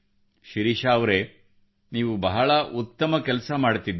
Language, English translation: Kannada, Shirisha ji you are doing a wonderful work